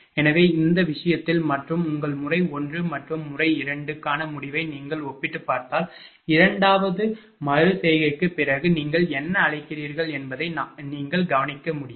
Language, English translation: Tamil, So, in this case and if you compare if you compare the they result for your P method 1 and method 2, that just what difference we can observe after your what you call after second iteration, right